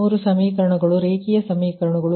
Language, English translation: Kannada, so these three equation, linear equations